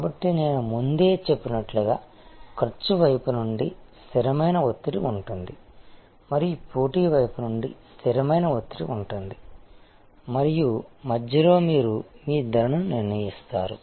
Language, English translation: Telugu, So, as I said earlier that there is a constant pressure from the cost side and there is a constant pressure from the competition side and in between is the arena, where you are setting your pricing